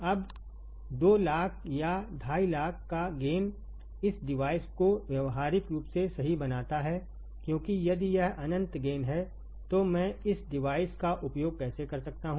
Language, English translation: Hindi, Now, a gain of 200,000 or 250,000 makes this device practically useless right because if it is infinite gain, then how can I use this device